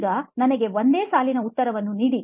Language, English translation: Kannada, Now give me a single line answer